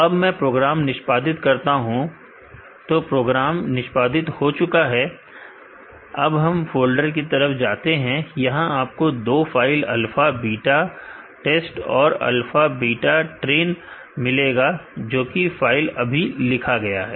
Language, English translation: Hindi, So, let me execute the program, the program is executed let us go to the folder, you will find 2 files alpha beta test and alpha beta train, which is the file written now